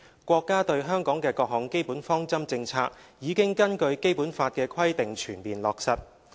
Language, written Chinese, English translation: Cantonese, 國家對香港的各項基本方針政策已根據《基本法》的規定全面落實。, The basic policies of the Country regarding Hong Kong have been fully implemented as per the provisions of the Basic Law